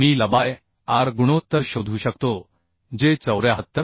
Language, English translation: Marathi, 03 I can find out the L by r ratio that will be 74